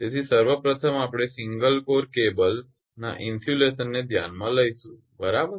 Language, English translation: Gujarati, So, insulation of first one you consider insulation of single core cable right